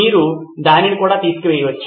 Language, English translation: Telugu, You can put that down as well